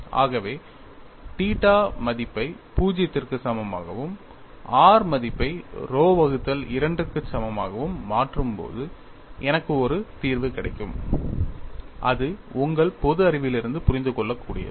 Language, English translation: Tamil, So, when I substitute a value at theta is equal to 0 and r equal to rho by 2, I get a solution which is understandable from your common sense